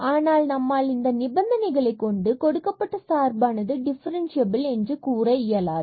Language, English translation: Tamil, So, we cannot claim based on these two conditions that the function is differentiable